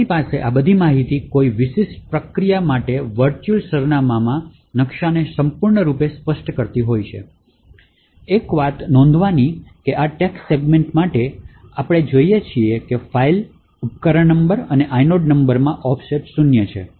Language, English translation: Gujarati, So, we have all of this information completely specifying the virtual address map for a particular process, so one thing to note is that for this text segment, we see that the offset in the file, device number and the inode is zero